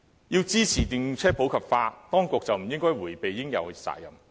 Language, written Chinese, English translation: Cantonese, 要支持電動車普及化，當局便不應迴避應有的責任。, In supporting the popularization of EVs the Government should not shy away from its responsibility